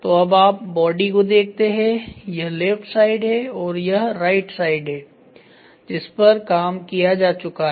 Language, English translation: Hindi, So, now, you see the body side ,one side that is left side and right side it is done